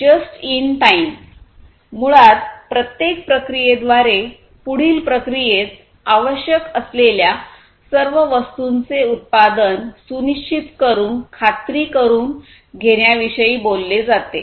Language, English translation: Marathi, And just in time basically talks about ensuring that each process produces whatever is exactly needed by the next process, in a continuous flow